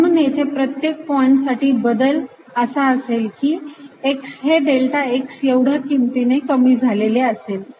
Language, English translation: Marathi, so for each point here, the only difference is that x is reduced by delta x, so it's at x and y path four